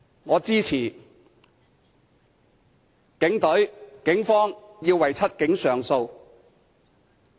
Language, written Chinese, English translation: Cantonese, 我支持警隊為"七警"上訴。, I support the filing of an appeal for The Seven Cops by the Police Force